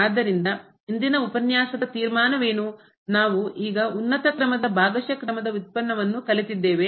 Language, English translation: Kannada, So, what is the conclusion for today’s lecture we have now learn the partial order derivative of higher order